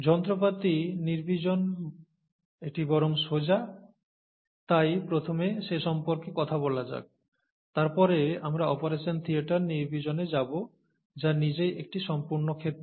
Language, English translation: Bengali, Instrument sterilization, that, it's rather straightforward, so let me talk about that first, and then we’ll get to the operation theatre sterilization, which is a whole field in itself